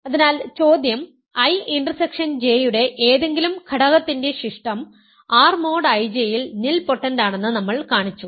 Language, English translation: Malayalam, So, the question was show that any element of I intersection J, the residue of any element of I intersection J is nilpotent in R mod I J, we have shown that